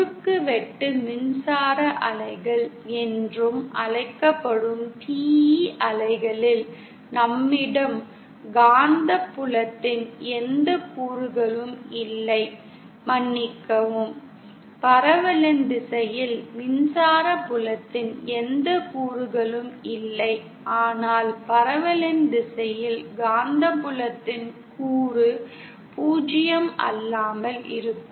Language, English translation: Tamil, In TE waves which are also known as transverse electric waves, we have no component of the magnetic field along sorry we have no component of the electric field along the direction of propagation but the component of magnetic field along the direction of propagation will be nonzero